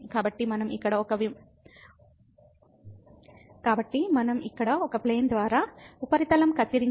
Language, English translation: Telugu, So, if we cut the surface by a plane here is equal to